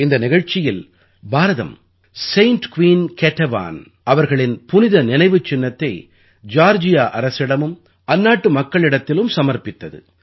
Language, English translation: Tamil, In this ceremony, India handed over the Holy Relic or icon of Saint Queen Ketevan to the Government of Georgia and the people there, for this mission our Foreign Minister himself went there